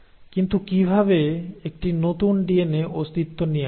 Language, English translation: Bengali, But how does a new DNA come into existence